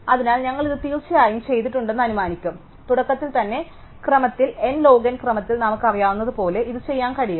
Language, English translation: Malayalam, Then, so we will assume that we have done this of course, we can do this we know in order n log n time right to the beginning